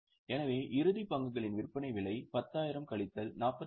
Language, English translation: Tamil, So, the selling price of closing stock is 10,000 minus 46